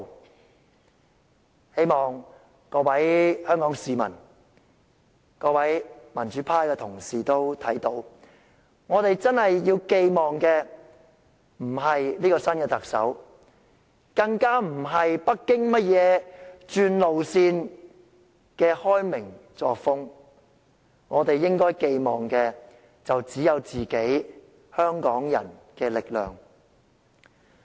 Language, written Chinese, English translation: Cantonese, 我希望各位香港市民、各位民主派的同事均看到，我們真正要寄望的並非新特首，更不是北京甚麼轉路線的開明作風；我們應該寄望的只有香港人自己的力量。, I hope all Hong Kong people and colleagues from the pro - democracy camp will realize that what we can truly rely on is not the new Chief Executive and certainly not whatever liberal manner Beijing has changed to adopt; we should only rely on the strengths of ourselves Hong Kong people